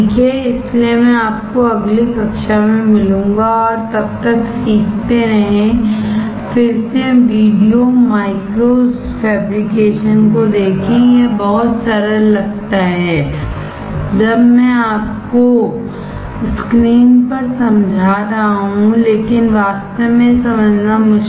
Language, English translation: Hindi, So I will see you in the next class, and till then learn, again look at the video micro fabrication, it looks very simple; when I am explaining you on the on the screen, but in reality it is difficult to understand